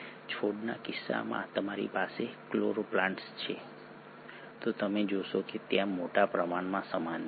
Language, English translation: Gujarati, In case of plants you have the chloroplast, you find there is a huge amount of similarity